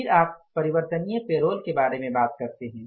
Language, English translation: Hindi, Then you talk about the variable payrolls